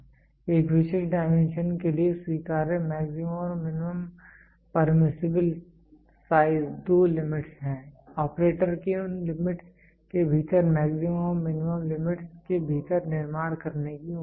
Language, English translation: Hindi, There are two limits maximum and minimum permissible size acceptable for a specific dimension, the operator is expected to manufacture within the maximum and minimum limits within these limits